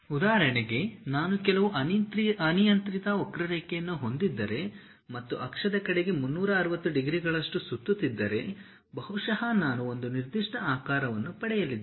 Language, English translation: Kannada, For example, if I have some arbitrary curve and about an axis if I am going to revolve it by 360 degrees, perhaps I might be going to get one particular shape